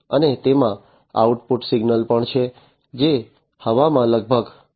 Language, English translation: Gujarati, And also it has the output signal, which is about 0